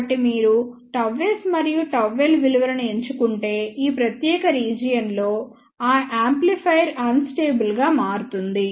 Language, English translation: Telugu, So, if you choose the values of gamma s and gamma L in this particular region that amplifier will become unstable